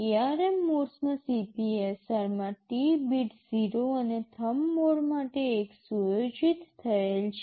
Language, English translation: Gujarati, In ARM mode the T bit in the CPSR is set to 0 and for Thumb mode set to 1